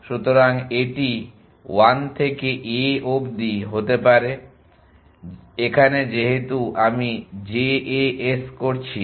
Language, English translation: Bengali, So, this could be 1 to a and since I am doing JAS